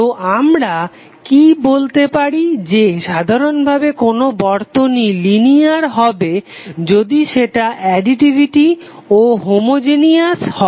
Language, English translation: Bengali, So what we can say in general this circuit is linear if it is both additive and homogeneous